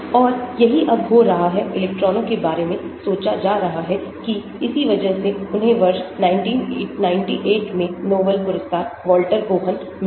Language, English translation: Hindi, And that is how now it is being; electrons are being thought of that is why he got a Nobel Prize Walter Kohn in the year 1998